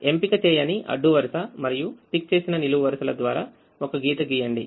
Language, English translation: Telugu, draw a lines through unticked rows and ticked columns